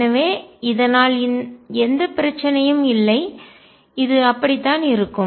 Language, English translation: Tamil, So, there is no problem, this is like that